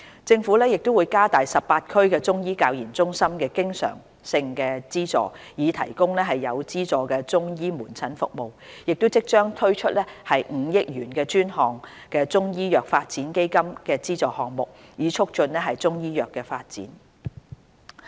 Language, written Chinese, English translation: Cantonese, 政府會加大18區中醫教研中心的經常性資助，以提供有資助中醫門診服務；亦即將推出5億元專項中醫藥發展基金的資助項目，以促進中醫藥發展。, The Government will increase the recurrent subvention for the Chinese Medicine Centres for Training and Research in the 18 districts in order to provide subsidized outpatient Chinese medicine services . The dedicated Chinese Medicine Development Fund of 500 million aimed at subsidizing projects to promote the development of Chinese medicine will soon be launched as well